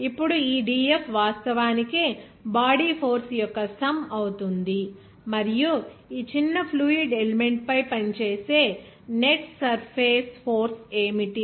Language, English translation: Telugu, Now, this dF actually will be sum of the body force and what will be the net surface force acting over this small fluid element